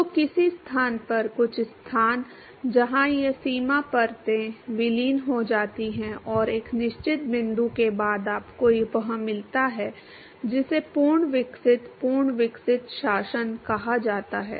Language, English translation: Hindi, So, at some location, some location where these boundary layers merge and after a certain point you get what is called the fully developed, fully developed regime